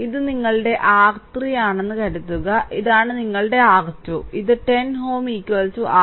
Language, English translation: Malayalam, Suppose this is your R 1, this is your R 2 and this 10 ohm is equal to R 3